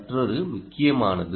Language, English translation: Tamil, this is another